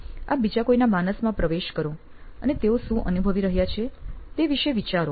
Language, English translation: Gujarati, You get into somebody else’s psyche and think about what is it that they are going through